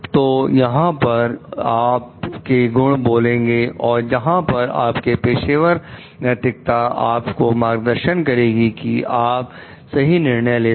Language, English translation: Hindi, So, this is where your virtue speaks and this is where your professional ethics guides you towards taking a proper course of action